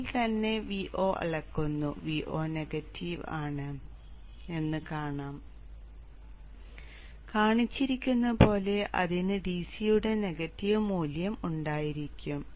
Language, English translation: Malayalam, The V0 measuring at V0 itself you will see V0 is negative and it will have a negative value of DC as shown here